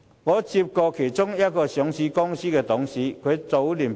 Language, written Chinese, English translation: Cantonese, 我曾接獲一間上市公司的董事投訴。, I have received a complaint from a director of a listed company